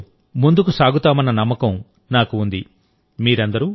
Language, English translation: Telugu, I am sure we will move forward with the same spirit